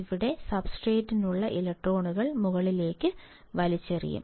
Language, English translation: Malayalam, The electrons here, in the substrate; this will be pulled up